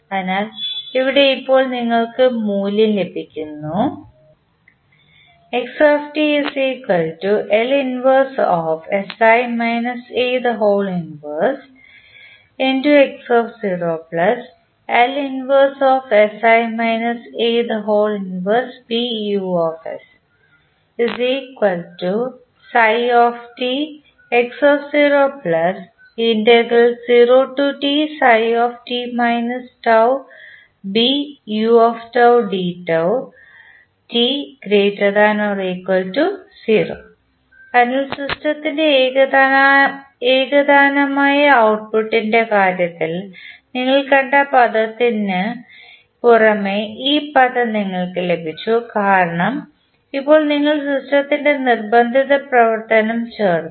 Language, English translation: Malayalam, So, this term you have got in addition to the term which we saw in case of homogeneous output, homogeneous response of the system because now you have added the forcing function in the system